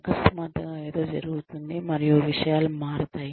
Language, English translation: Telugu, Suddenly, something happens, and things change